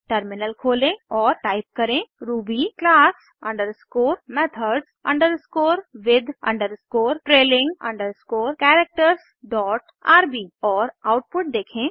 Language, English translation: Hindi, Switch to the terminal and type ruby class underscore methods underscore with underscore trailing underscore characters dot rb and see the output